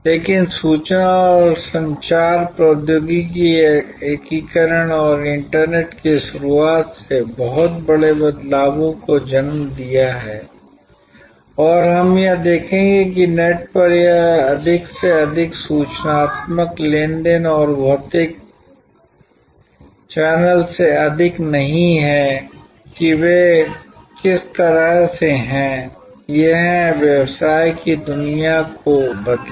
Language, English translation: Hindi, But, the introduction of information and communication, technology, integration and introduction of internet has created some big shifts and we will just now see that this more and more informational transactions over the net and not over the physical channel in what way they, it has change the business world